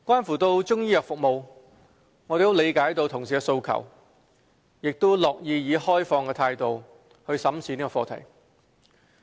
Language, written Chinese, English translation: Cantonese, 至於中醫藥服務，我們理解同事的訴求，亦樂意以開放態度審視這個課題。, As regards Chinese medicine services we appreciate colleagues aspirations and are pleased to examine this issue with an open mind